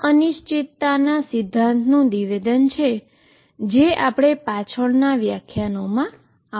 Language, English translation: Gujarati, This is a statement of uncertainty principle which will come back to in later lectures